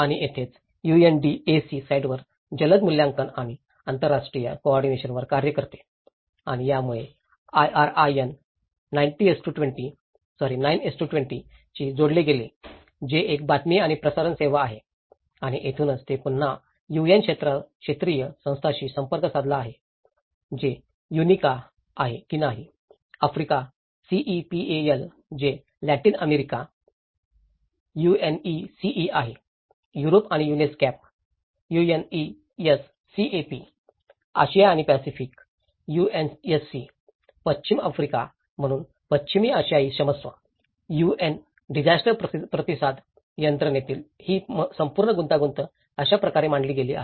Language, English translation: Marathi, And this is where the UNDAC works on the rapid assessment and international coordination on site and this further linked ups with the IRIN 9:20 which is a news and the broadcasting service and this is where again it is communicating to the UN regional agencies, whether it is UNICA; Africa, CEPAL; which is Latin America, UNECE; Europe and UNESCAP; Asia and Pacific UNSC; western Africa, so Western Asia sorry, so this is how this whole complexity in the UN Disaster Response system has been laid out